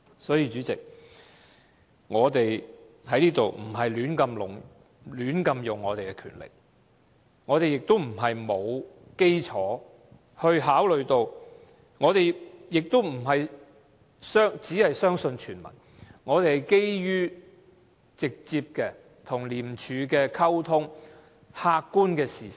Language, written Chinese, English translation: Cantonese, 所以，主席，我們並非胡亂使用我們的權力，並非沒有考慮的基礎，也不是只相信傳聞，我們是基於跟廉署直接的溝通，以及客觀的事實。, Therefore President we do not intend to exercise our power haphazardly we are not acting without any basis of consideration and it is not true that we believe only rumours . Instead our proposal is based on our direct communication with ICAC and objective facts